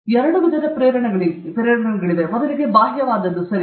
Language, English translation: Kannada, There are two kinds of motivation: first is extrinsic okay